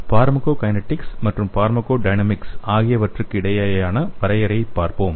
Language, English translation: Tamil, Let us see the definition between the pharmacokinetics and pharmacodynamics